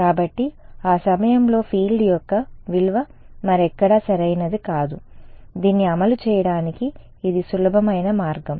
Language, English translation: Telugu, So, the value of the field at that point only not anywhere else right, this is the simplest way to implement it